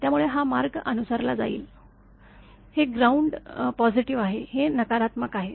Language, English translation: Marathi, This is ground positive, this is negative here also it is negative